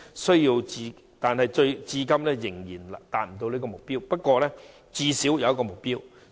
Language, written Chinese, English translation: Cantonese, 雖然至今仍然無法達標，但最低限度都有目標。, Although the targets have yet to be fulfilled at least some targets have been set